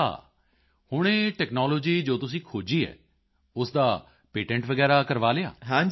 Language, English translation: Punjabi, Now this technology which you have developed, have you got its patent registered